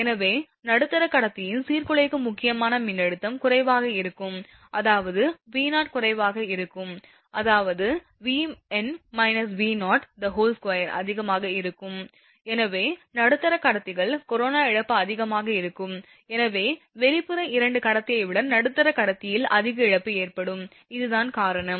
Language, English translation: Tamil, Therefore, the disruptive critical voltage for middle conductor will be less, that is V 0 will be less, that means, V n minus V 0 square will be higher; therefore, the middle conductors your corona loss will be higher than the your what you call your hence there will be more corona loss in middle conductor than the outer 2 conductor, this is the reason